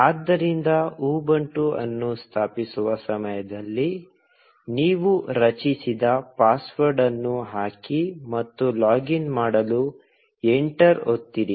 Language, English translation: Kannada, So, just put in the password that you created at the time of installing Ubuntu, and press enter to login